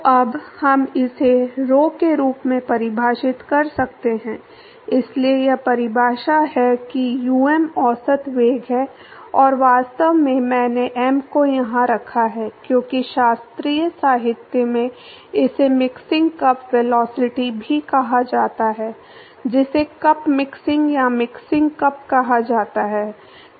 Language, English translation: Hindi, So, now we can define this as rho into, so, that is the definition um is the average velocity and in fact, I put m here because in classical literature it also called as mixing cup velocity called cup mixing or mixing cup either way it is used